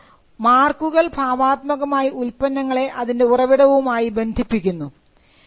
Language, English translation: Malayalam, Marks came as a way to creatively associate the goods to its origin